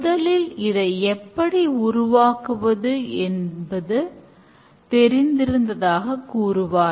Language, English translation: Tamil, Initially they say that we just know how to make it